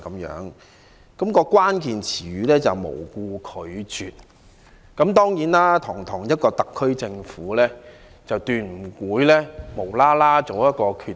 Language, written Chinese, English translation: Cantonese, 議案的關鍵詞是"無故拒絕"，但堂堂特區政府絕不會毫無理由地做一個決定。, The key words of the motion are for no reason but a dignified SAR Government certainly would not make a decision for no reason